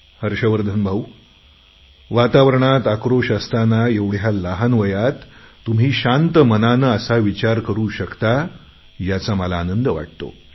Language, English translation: Marathi, Brother Harshvardhan, I am happy to know that despite this atmosphere charged with anger, you are able to think in a healthy manner at such a young age